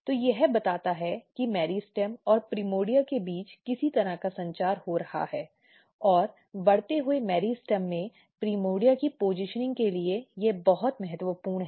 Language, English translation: Hindi, So, this tells that some kind of communication between meristem and the primordia is going on and this is absolutely important for positioning primordia in the growing meristem